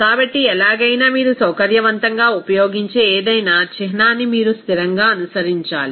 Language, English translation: Telugu, So, either way, any symbol that whatever conveniently you are using that you have to follow consistently